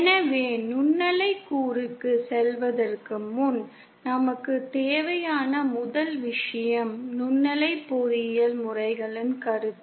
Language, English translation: Tamil, So the first thing that we need before going to the microwave component is the concept or modes in microwave engineering